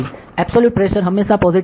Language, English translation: Gujarati, So, the absolute pressure will always be positive ok